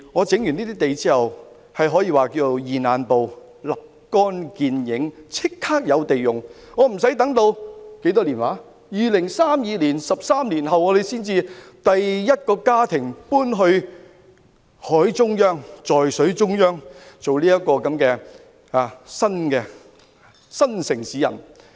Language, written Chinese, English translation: Cantonese, 整頓這些土地後，可以說是"現眼報"，是立竿見影的，立即有土地可供使用，不用等到13年後，在2032年才有首個家庭搬往海中央，在水中央做"新城市人"。, After fixing these land problems instant results can be achieved . Land will become readily available . There will be no need to wait for 13 years until 2032 for the first family to move to the centre of the sea and become new town dwellers in the middle of the sea